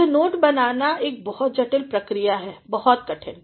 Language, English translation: Hindi, Making is a very complex process very difficult